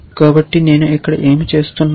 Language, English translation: Telugu, So, what am I doing here